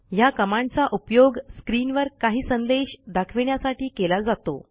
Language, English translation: Marathi, This command is used to display some message on the screen